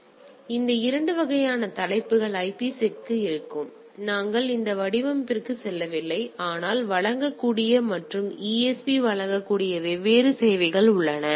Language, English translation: Tamil, So, these are the things two type of headers what the IPSec will have; we are not going into those formatting, but there are different services which can provide and ESP can provide